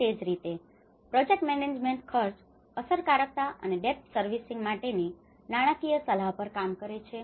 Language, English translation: Gujarati, And similarly the project management works at cost effectiveness and financial advice on depth servicing